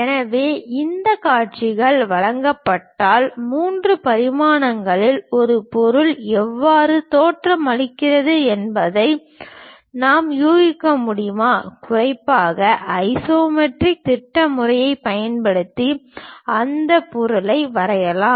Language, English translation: Tamil, So, if these views are given, can we guess how an object in three dimensions looks like and especially can we draw that object using isometric projection method